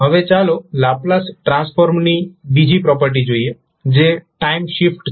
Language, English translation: Gujarati, Now, let us see another property of the Laplace transform that is time shift